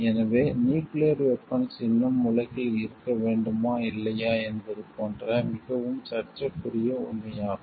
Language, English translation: Tamil, So, that that becomes a very disputed fact like, whether the nuclear weapon should still be there in the world or not